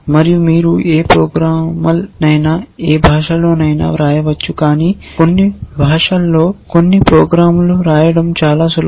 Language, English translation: Telugu, And you can write any program in any language, but in some languages some programs are simpler to write